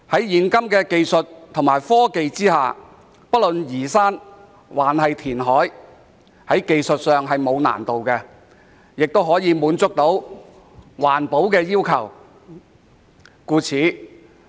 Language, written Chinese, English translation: Cantonese, 現今科技發達，不論是移山或填海，在技術上都沒有難度，亦可以滿足環保要求。, With the advancement of technology nowadays there is no technical difficulty in either levelling hills or reclaiming land from the sea while at the same time meeting the environmental requirements